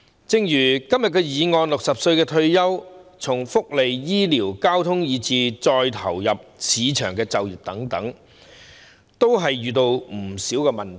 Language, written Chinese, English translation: Cantonese, 正如今天的議案指出，市民60歲退休後，在就業、福利、醫療、交通等方面均遇到不少問題。, As stated in the motion today after retiring at 60 people encounter many problems in terms of employment welfare health care transport etc